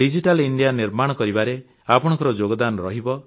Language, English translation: Odia, It will be your contribution towards making of a digital India